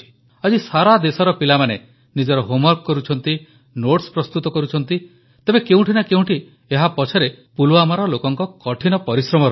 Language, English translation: Odia, Today, when children all over the nation do their homework, or prepare notes, somewhere behind this lies the hard work of the people of Pulwama